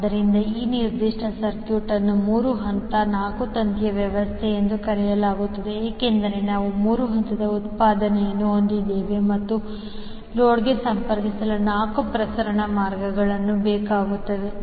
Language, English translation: Kannada, So, this particular set of circuit is called 3 phase 4 wire system because we have 3 phase output and 4 transmission lines are required to connect to the load